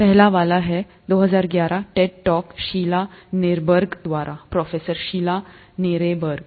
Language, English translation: Hindi, The first one is a 20/11 Ted talk by Sheila Nirenberg, professor Sheila Nirenberg